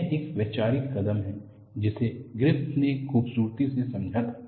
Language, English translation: Hindi, It is a conceptual step, which was beautifully understood by Griffith